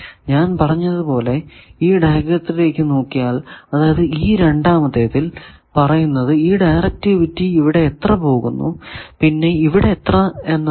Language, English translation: Malayalam, As I said that if you go back to this diagram that you see in this second one, it is showing that directivity means how much I am going here and how much here